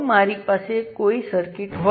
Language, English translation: Gujarati, those are the parameters